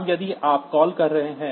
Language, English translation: Hindi, Now, if you are doing a call